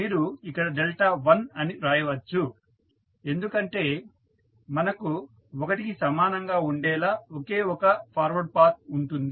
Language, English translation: Telugu, You can write delta 1 because we have only one forward path equal to 1